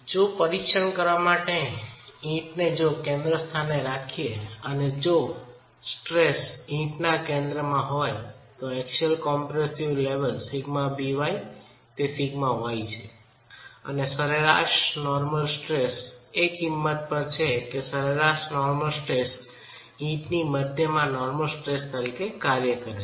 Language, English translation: Gujarati, The stress at the center of the brick, if you were to examine what is happening at the center of the brick, the axial compression level, sigma b is sigma y, we are assuming that the average normal stress is the value which is the normal stress acting at the center of the brick